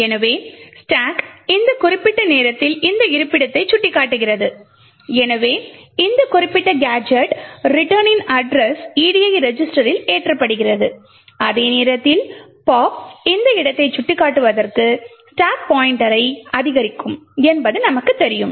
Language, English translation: Tamil, So the stack is at this particular time pointing to this location and therefore the address of this particular gadget return is loaded into the edi register and at the same time as we know the pop would increment the stack pointer to be pointing to this location